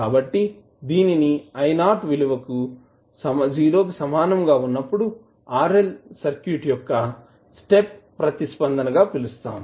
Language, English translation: Telugu, So, this would be called as a step response of the RL circuit when I naught is equal to 0